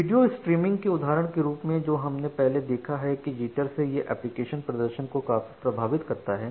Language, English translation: Hindi, So, in case of video streaming as the example that we have given earlier this kind of jitter it impacts significantly the application performance